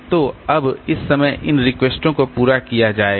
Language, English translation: Hindi, So, now now at this time these requests will be served